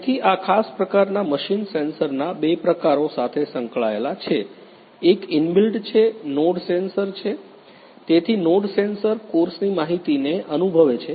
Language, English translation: Gujarati, So, in this particular machine we have engaged you know the two types of the sensor; one is inbuilt that is the node sensor so, node sensor senses the you know the course information